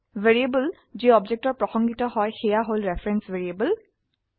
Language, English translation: Assamese, Variables that refer to objects are reference variables